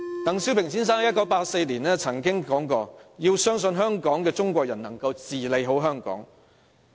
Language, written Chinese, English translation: Cantonese, 鄧小平先生在1984年曾說，"要相信香港的中國人能治理好香港。, Mr DENG Xiaoping said in 1984 that we must believe that Chinese people in Hong Kong can govern Hong Kong well